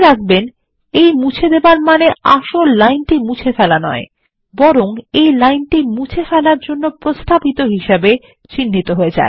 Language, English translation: Bengali, Note that the deletion does not actually delete the line, but marks it as a line suggested for deletion